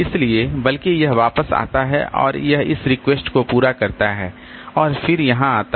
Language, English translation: Hindi, So, rather it comes back and it serves this request and then it comes here